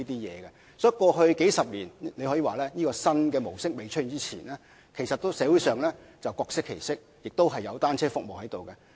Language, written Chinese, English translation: Cantonese, 因此，過去數十年來，在這種新模式尚未出現之前，社會上可說是各適其適，而且也有提供各種單車服務。, Hence before the emergence of this new operating mode I mean over the past few decades people have been able to use bicycles in any ways they like and there are different kinds of bicycle services to suit their needs